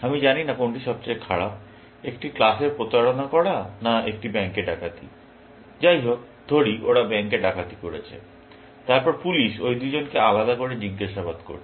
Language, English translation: Bengali, I do not know which is the worst; the cheating in a class, or robbing in a bank; anyway, let us say, they have robbed the bank, and then, the police is interrogating that two people separately